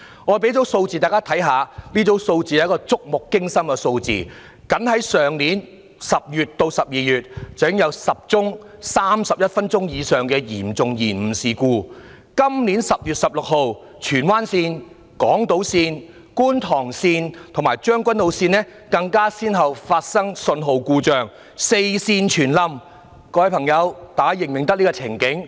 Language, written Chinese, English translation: Cantonese, 我讓大家看看一組觸目驚心的數字：僅在去年10月至12月，已經有10宗31分鐘或以上的嚴重延誤事故；今年10月16日荃灣線、港島線、觀塘線及將軍澳線更先後發生信號故障，"四線全冧"，大家是否認得這個情境呢？, Let me show Members some frightening data . From October to December last year alone MTRCL had 10 serious service disruptions of 31 minutes or more . On 16 October this year the Tsuen Wan Line Island Line Kwun Tong Line and Tseung Kwan O Line experienced a signalling failure